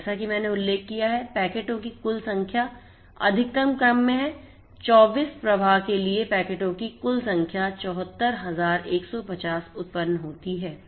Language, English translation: Hindi, And as I have mentioned the total number of packets is in the order of 1000s so, for 24 flows the total number of packets are generated 74150